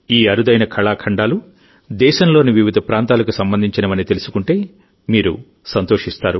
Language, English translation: Telugu, You will also be happy to know that these rare items are related to different regions of the country